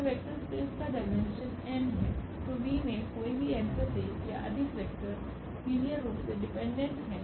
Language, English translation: Hindi, So, the dimension of the vector space is n, then any n plus 1 or more vectors in V are linearly dependent